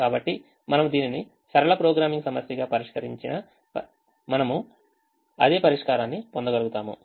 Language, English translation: Telugu, if you are solving it as a linear programming problem, we can solve it with continuous variables